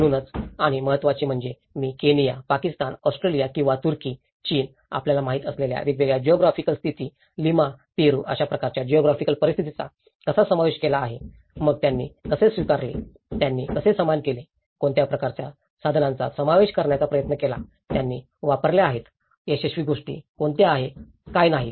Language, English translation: Marathi, So, and more importantly, I try to cover different geographical positions like Kenya, Pakistan, Australia or Turkey, China you know, the variety of geography conditions Lima, Peru, so how they have adopted, how they have faced, what kind of tools they have used, what are the successful things, what is not